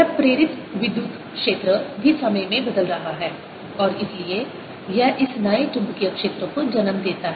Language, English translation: Hindi, this induced electric field is also changing in time and therefore this gives rise to this new magnetic field